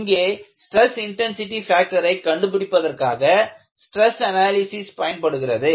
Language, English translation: Tamil, It uses stress analysis to determine the stress intensity factors